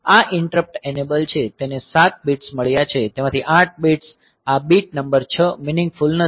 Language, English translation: Gujarati, So, this interrupt enable, so it has got 7 bits, 8 bits out of that this bit number 6 is not meaningful